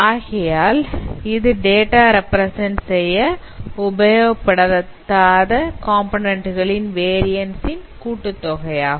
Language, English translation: Tamil, So it is the sum of those components, the variance of those components which are not accounted in your representation